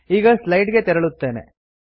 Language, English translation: Kannada, Let me go back to the slides now